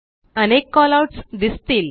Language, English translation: Marathi, Various Callouts are displayed